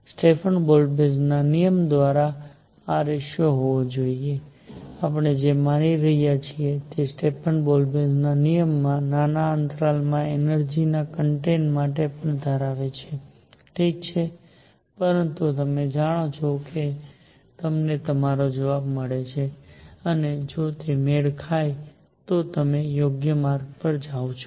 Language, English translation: Gujarati, That should be the ratio by a Stefan Boltzmann law; what we are assuming is the Stefan Boltzmann law holds even for energy content in small intervals, all right, but you know you get your answer and if they matches you are on the right track